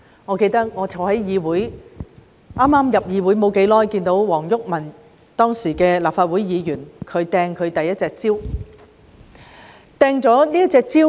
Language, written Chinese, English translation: Cantonese, 我記得剛加入立法會不久，便在議事廳內目睹前立法會議員黃毓民擲出第一隻蕉。, I remember that soon after joining the Legislative Council I already witnessed in the Chamber how former Legislative Council Member WONG Yuk - man hurled the first banana